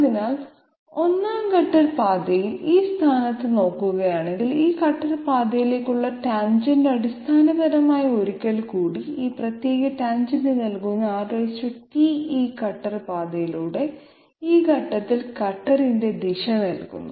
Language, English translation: Malayalam, So, on the 1st cutter path if we look at it at this position, the tangent to this cutter path which is basically once again that R t that gives us this particular tangent gives us the direction of the cutter along this cutter path at this point